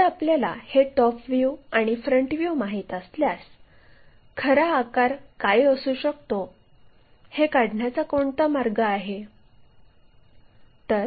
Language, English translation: Marathi, If we know that top view front view and top view, is there a way we can determine what it might be in true shape